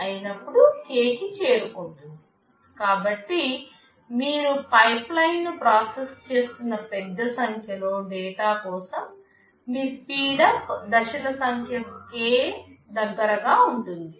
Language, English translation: Telugu, So, for a large number of data that you are processing the pipeline, your speedup will be close to number of stages k